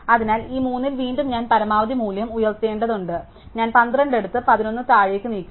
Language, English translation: Malayalam, So, again among these 3 I have to take the maximum value up, so I take the 12 up and move the 11 down